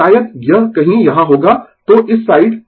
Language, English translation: Hindi, So, maybe it will be somewhere here, so this side